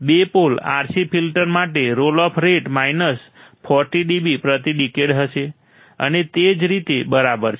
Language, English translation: Gujarati, For two pole RC filter my role of rate will be minus 40 dB per decade and so on all right